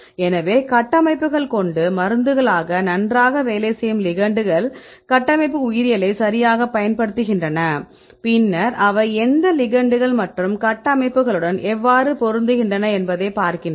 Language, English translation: Tamil, So, when we got the structures then we know the ligands which are working well as a drugs, then they use the structural biology right and then they see which ligands and how they fit with a structures